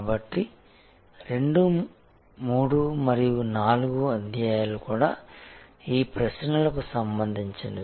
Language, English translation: Telugu, So, chapter 2, 3 and 4 will be also then related to these questions